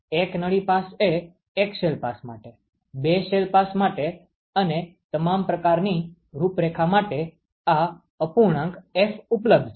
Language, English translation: Gujarati, One tube pass; is available for one, shell passes two tube passes for all kinds of configuration for which this fraction F is available